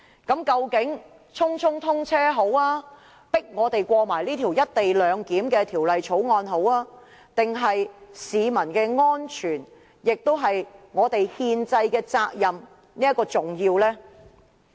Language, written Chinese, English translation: Cantonese, 究竟匆匆通車、強迫我們通過《條例草案》重要，還是市民的安全、議員履行其憲制責任較為重要？, What is more important compelling Members to pass the Bill so that XRL can be commissioned hastily or ensuring public safety and allowing Members to perform their constitutional responsibilities?